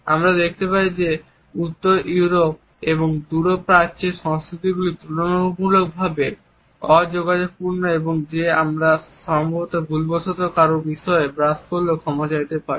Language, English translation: Bengali, We find that in Northern Europe and Far East cultures are relatively non contact to the extent that one may have to apologize even if we accidentally brush against somebody in these societies